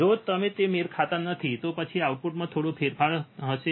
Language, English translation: Gujarati, If they do not match, then there will be some change in the output right